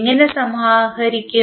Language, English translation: Malayalam, How we will compile